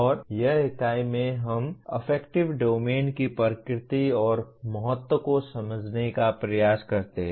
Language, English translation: Hindi, And this unit, we make an attempt to understand the nature and importance of affective domain in learning